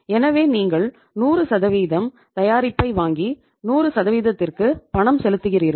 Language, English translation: Tamil, So you buy the product 100% and paid for the 100%